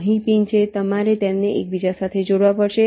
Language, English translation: Gujarati, for example, this pin has to be connected to this pin